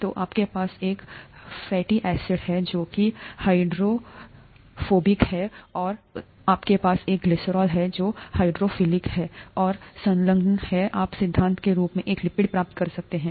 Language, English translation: Hindi, So you have a fatty acid, which is hydrophobic, and you have glycerol, which is hydrophilic and attached, you could in principle, get a lipid